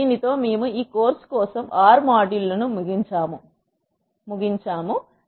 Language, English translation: Telugu, With this we end the R module for this course